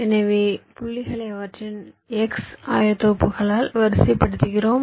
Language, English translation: Tamil, so we sort the points by their x coordinates